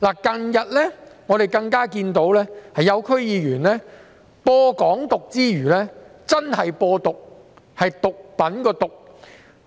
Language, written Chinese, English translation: Cantonese, 近日，我們更看到有些區議員在散播"港獨"之餘真正"播毒"——是毒品的"毒"。, Some DC members have recently gone so far as not only to spread the poisonous idea of Hong Kong independence but also to spread genuine poison―I mean drugs―by claiming openly that cannabis is not a drug